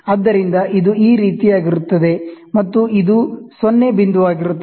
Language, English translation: Kannada, So, this will be something like this, and you will have a this will be the 0 point